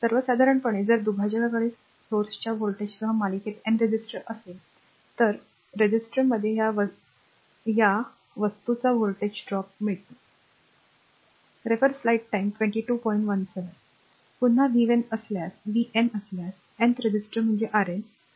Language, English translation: Marathi, In general, if a divider has a N resistors in series with the source voltage v the nth resistor will have a voltage drop of this thing, right